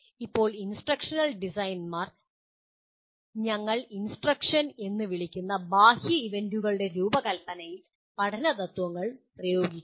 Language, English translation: Malayalam, Now instructional designers apply the principles of learning to the design of external events we call instruction